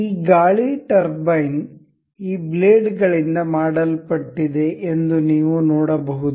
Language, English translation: Kannada, You can see this this wind turbine is made of these blades